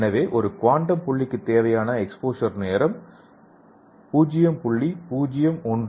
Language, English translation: Tamil, So here you can see here the exposure time required for quantum dot is 0